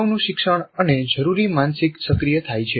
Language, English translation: Gujarati, So the prior learning and the required mental are activated